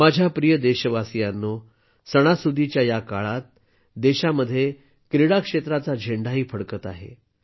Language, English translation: Marathi, My dear countrymen, during this festive season, at this time in the country, the flag of sports is also flying high